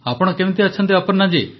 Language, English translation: Odia, How are you, Aparna ji